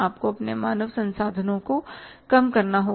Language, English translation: Hindi, You have to reduce your human resources